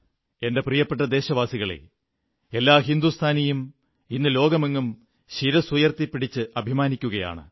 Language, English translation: Malayalam, My dear countrymen, every Indian today, is proud and holds his head high